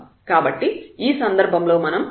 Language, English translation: Telugu, So, we will get what is f x is equal to 0 in this case